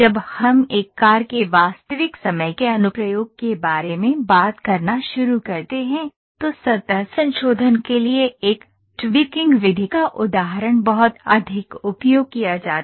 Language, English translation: Hindi, When we start talking about a real time application of a car, so the example of a tweaking method for surface modification is very much used